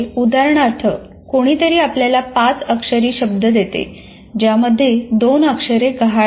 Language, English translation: Marathi, For example, somebody gives you a word, a five letter word, in which two letters are missing